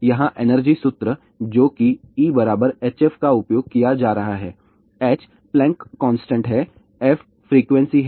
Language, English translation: Hindi, Here energy formula which is being uses E equal to h f , h is Plancks constant, f is frequency